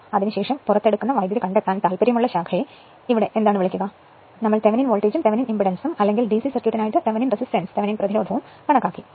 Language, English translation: Malayalam, So, that here what you call the branch which are interested in to find the current that is taken out after that we computed Thevenin voltage and Thevenin impedance right or Thevenin for d c circuit Thevenin resistance right; same way we will do it